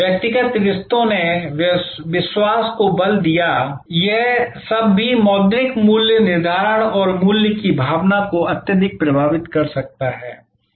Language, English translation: Hindi, The personal relationships stressed faith all this also can highly influence the monitory pricing and the sense of value